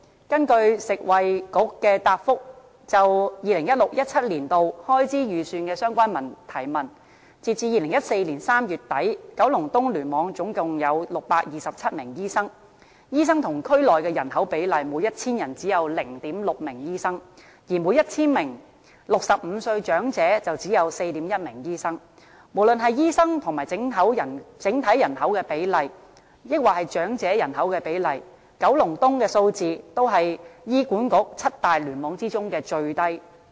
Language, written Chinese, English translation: Cantonese, 根據食物及衞生局答覆議員就 2016-2017 年度開支預算的相關提問，截至2014年3月底，九龍東聯網總共有627名醫生，醫生與區內的人口比例，每 1,000 人只有 0.6 名醫生，而每 1,000 名65歲長者只有 4.1 名醫生，無論是醫生與整體人口的比例，還是與長者人口的比例，九龍東的數字都是醫管局七大聯網中最低的。, According to the reply of the Food and Health Bureau to Members questions relating to the Estimates of Expenditure 2016 - 2017 as at the end of March 2014 there were a total of 627 doctors in KEC . In terms of the ratio of doctors to the population in the district the number of doctors per 1 000 people was only 0.6 and that per 1 000 elderly people aged 65 or above was only 4.1 . Be it the ratio of doctors to the overall population or to the elderly population the figures of Kowloon East were the lowest among the seven clusters of HA